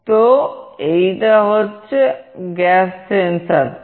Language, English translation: Bengali, So, this is the gas sensor